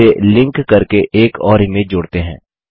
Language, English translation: Hindi, Let us select another image